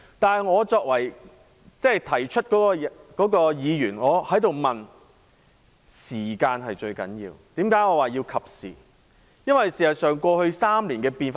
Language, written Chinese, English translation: Cantonese, 但我作為提出此事的議員，認為時間才是最重要的考量，這正是我說的"適時性"。, As the first Member who raised this matter I think that timing is the most important consideration . This is what I meant by timeliness